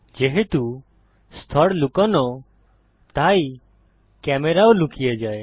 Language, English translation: Bengali, Since the layer is hidden the camera gets hidden too